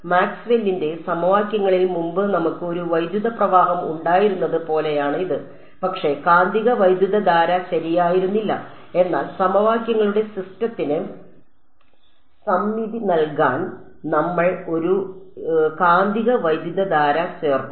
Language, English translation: Malayalam, It is just like how in Maxwell’s equations earlier we had an electric current, but no magnetic current right, but we added a magnetic current to give symmetry to the system of equations